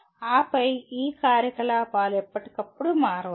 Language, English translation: Telugu, And then these activities may change from time to time